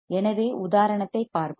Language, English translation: Tamil, So, let us see example